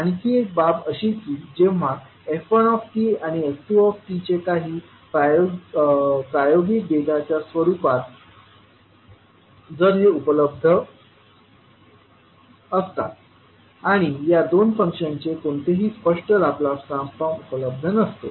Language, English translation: Marathi, Another case is that when f1t and f2t are available in the form of some experimental data and there is no explicit Laplace transform of these two functions available